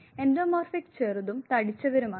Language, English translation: Malayalam, Endomorphic are short and plump